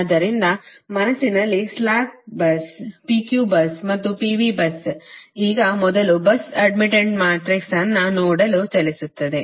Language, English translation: Kannada, so with this in our mind, slack bus, p q bus and p v bus now will move to see that first the bus admittance matrix, right